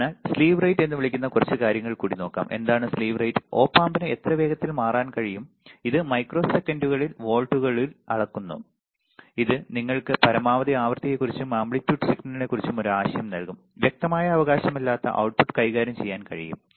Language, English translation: Malayalam, So, let us see few more things one is called slew rate, what is it the slew rate is how fast the Op amp can change and it is measure in volts per microseconds right this will give you an idea of maximum frequency and amplitude signal the output can handle without distortion right